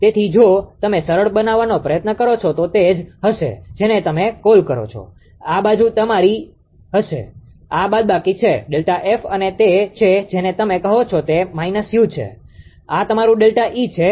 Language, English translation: Gujarati, So, if you if you try to simplify it will be your what you call this is your ah this side will be your, ah this is minus delta F and this is your what you call u it is minus u and this is your ah delta E